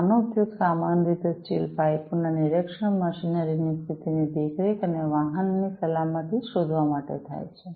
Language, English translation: Gujarati, These are typically used for inspection of steel pipes, condition monitoring of machinery, and detection of vehicle safety